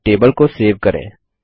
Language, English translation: Hindi, Let us now save the table